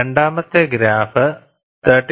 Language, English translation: Malayalam, The second graph is for 31